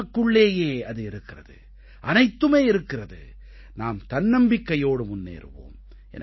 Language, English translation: Tamil, We possess everything within us, let us proceed with confidence